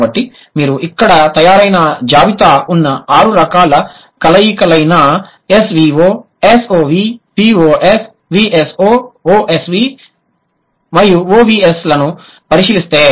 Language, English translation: Telugu, So, if you look at the six possible kinds of combination listed here, S V O S O V V O S V O S V O S V O S V and O V V S